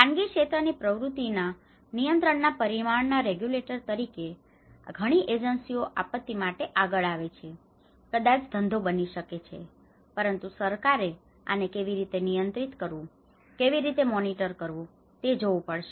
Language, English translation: Gujarati, As a regulators for the control dimension of it where of private sector activity because many agencies come forward for disaster maybe it becomes a business, but a government has to look at how to monitor, how to control this